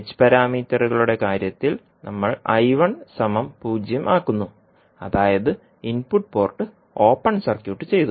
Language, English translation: Malayalam, In case of h parameters we set I1 equal to 0 that is input port open circuited